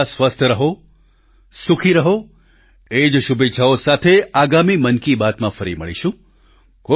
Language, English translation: Gujarati, Stay healthy and stay happy, with these wishes, we will meet again in the next edition of Mann Ki Baat